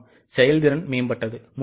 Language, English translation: Tamil, Yes, efficiency has improved